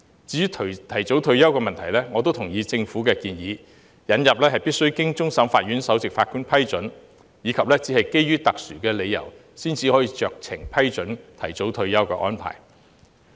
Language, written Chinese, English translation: Cantonese, 至於提早退休的問題，我也同意政府的建議，引入須經終審法院首席法官批准，以及只有基於特殊理由才可酌情批准提早退休的安排。, As for the concern of early retirement I also support the Governments proposal of introducing the requirement of approval by the Chief Justice of CFA and discretionary arrangement to approve early retirement can only be made on exceptional grounds